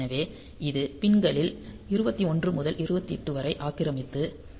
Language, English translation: Tamil, So, this will occupy pins 21 to 28 and written as P2